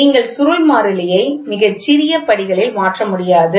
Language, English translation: Tamil, The spring constant you cannot vary very small steps